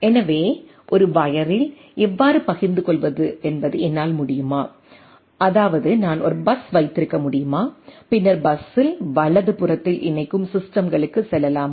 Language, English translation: Tamil, So, whether I can how to share on a wire; that means, whether I can have a bus and then go on connecting systems on the bus right